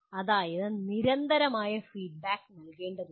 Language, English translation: Malayalam, That means constant feedback has to be given